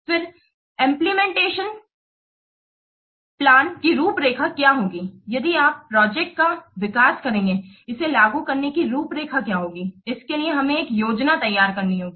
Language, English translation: Hindi, Then about outline of the implementation plan, if you will develop the project, what will the outline to implement it for that we must prepare a plan